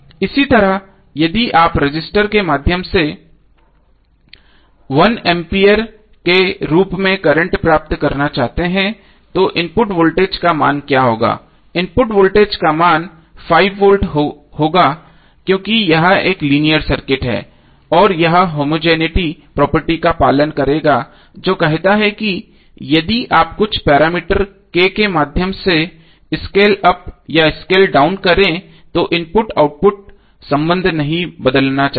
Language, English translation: Hindi, Similarly is you want to get current as 1 ampere through the resistor what would be the value of the voltage input, the voltage input value would be 5 volts because this is a linear circuit and it will follow the homogeneity property which says that if you scale up or scale down through some parameter K the input output relationship should not change